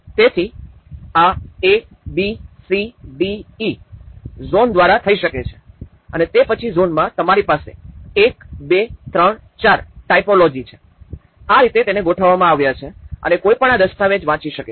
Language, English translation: Gujarati, So, this could be done by ABCDE zone and then within the zone, you have 1, 2, 3, 4 typology, this is how it has been organized and how one can read this document